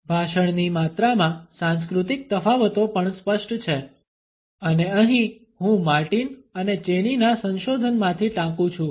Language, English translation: Gujarati, Cultural differences in volume of speech are also apparent and here I quote from a research by Martin and Chaney